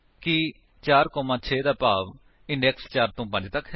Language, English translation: Punjabi, (4, 6) will imply index from 4 to 5